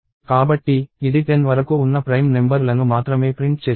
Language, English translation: Telugu, So, it is printing only prime numbers up to 10